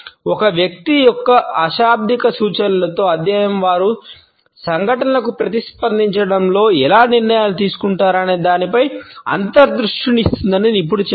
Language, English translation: Telugu, Expert says study in a person’s nonverbal cues can offer insight into how they make decisions in react to events